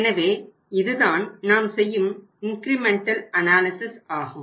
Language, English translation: Tamil, So it means under the incremental analysis what we do